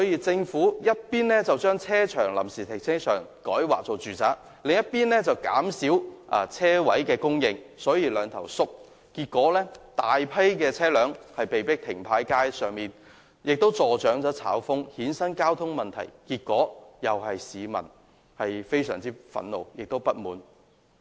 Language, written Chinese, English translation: Cantonese, 政府這邊廂將臨時停車場改劃為住宅，那邊廂又減少車位的供應，形成"兩頭縮"，結果大批車輛被迫停泊在街上，這樣既助長"炒風"，亦衍生交通問題，結果令市民深感憤怒及不滿。, As a result of the Governments dual reduction by rezoning the temporary parking spaces for residential development and at the same time reducing the supply of parking spaces many drivers are forced to park their vehicles on the streets . This has not only fuelled speculation of parking spaces but has also created traffic problems causing serious public resentment and dissatisfaction